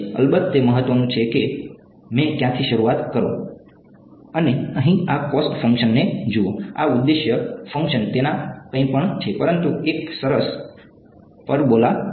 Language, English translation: Gujarati, Then of course, it matters where I started from, and look at this cost function over here, this objective function its anything, but a nice parabola right